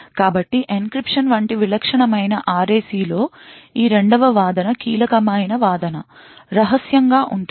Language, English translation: Telugu, So in a typical RAC like encryption, this second argument the key argument is secret